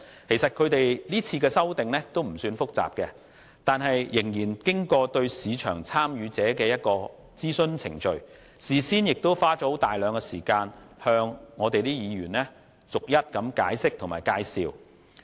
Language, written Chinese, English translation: Cantonese, 其實，今次修訂的條文內容不算複雜，但他們仍對市場參與者進行諮詢，事先亦花了大量時間向立法會議員逐一解釋和介紹。, Actually the amendments are not complicated but they still consulted the market players spending long hours on briefing Members and answering all their questions well beforehand